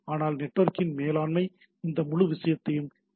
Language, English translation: Tamil, So it is the overall management of the network which makes these things running